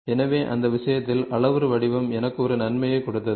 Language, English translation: Tamil, So, in that case the parametric form gave me an advantage